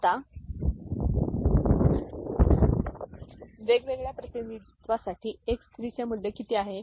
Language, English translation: Marathi, What is the value of X 3 for different representation now